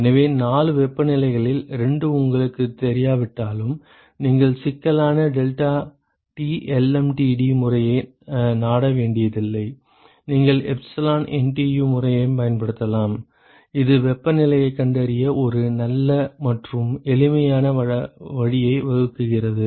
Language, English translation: Tamil, So, even if you do not know the 2 of the 4 temperatures you do not have to resort to the cumbersome deltaT lmtd method, you can simply use the epsilon NTU method which provides a nice and simple way to find out the temperatures